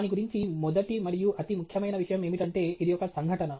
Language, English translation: Telugu, First and most important thing about it is that it is an event